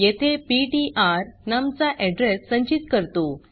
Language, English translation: Marathi, Over here ptr stores the address of num